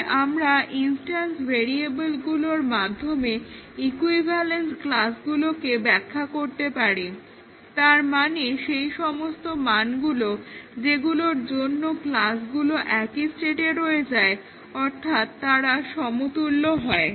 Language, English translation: Bengali, So, we can define equivalence classes on the instance variables that is, those values for which the class remains in the same state they are equivalent